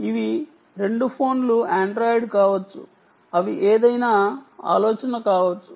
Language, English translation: Telugu, they can be android, they can be anything